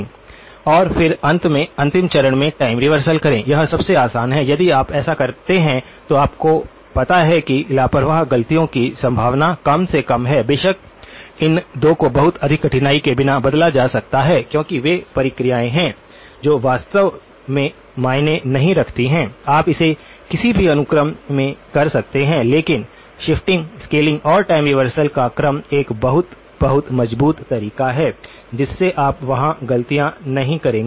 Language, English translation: Hindi, And then finally, the last stage would be time reversal, it is easiest if you do that minimizes any possibility of you know, careless mistakes of course, these 2 can be interchanged without too much difficulty because they are processes that do not really you can do it in either sequence but the sequence of shifting scaling and time reversal is a very, very robust way you will not make mistakes there